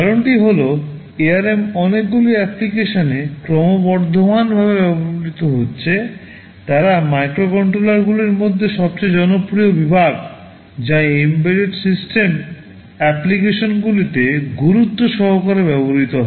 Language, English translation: Bengali, The reason is this ARM have has been this has been you can say increasingly used in many applications, they are the most popular category of microcontrollers which that has are seriously used in embedded system applications